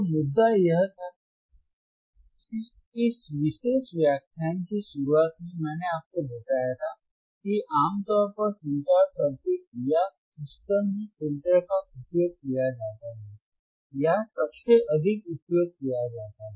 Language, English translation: Hindi, So, the point was that, in the starting of the this particular filters lecture, I told you that the filters are generally used or most widely used in the communication circuits in the communication or systems alright ok